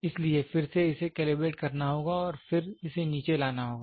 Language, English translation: Hindi, So, again it has to be calibrated and then it has to be brought down